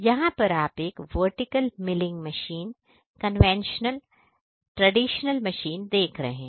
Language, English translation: Hindi, Here, what you see is a vertical milling machine the conventional, traditional, vertical, milling machine